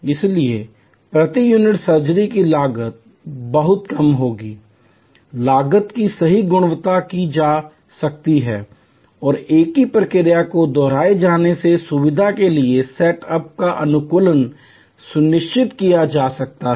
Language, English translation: Hindi, So, the per unit surgery cost will be varying very little, cost could be accurately calculated and same procedure repetitively performed could ensure optimize set up for the facility